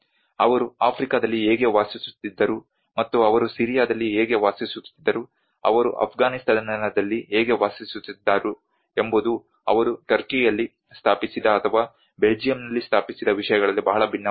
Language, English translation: Kannada, How they were living in Africa and how they were living in Syria how they were living in Afghanistan is very much different in what they have set up in Turkey or what they have set up in Belgium